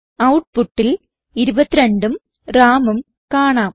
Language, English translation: Malayalam, We see the output 22 and Ram